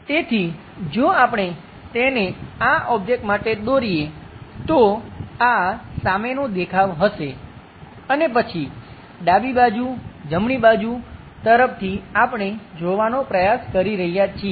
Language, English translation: Gujarati, So, if we are drawing this one for this entire object, the front view will be that and then, left side towards right direction, we are trying to look at